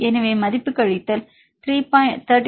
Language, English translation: Tamil, So, in this case the value is minus 34